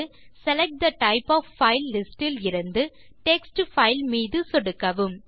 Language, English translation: Tamil, From the Select type of file list, click on Text file